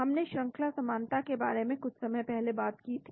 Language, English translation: Hindi, we talked about sequence similarity sometime back